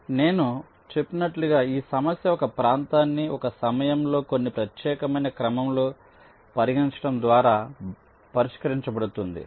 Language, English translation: Telugu, ok, so this problem, as i said, is solved by considering one region at a time, in some particular order